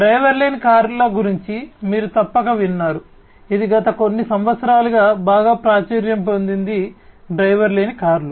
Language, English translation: Telugu, Then you must have heard about the driverless cars, which has also become very popular in the last few years, the driverless cars